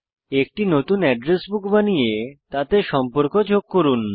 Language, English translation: Bengali, Create a new Address Book and add contacts to it